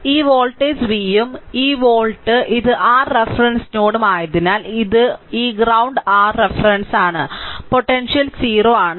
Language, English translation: Malayalam, And and as as this voltage is v and this volt this this is your this this is your ah reference node right this is your reference one this ground, potential is 0 right